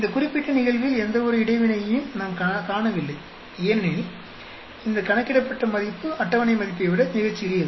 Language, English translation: Tamil, In this particular case, we do not see any interaction because these calculated value is much smaller than the table value